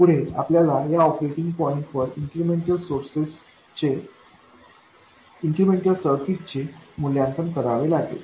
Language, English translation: Marathi, Next what we have to do is at this operating point we have to evaluate the incremental circuit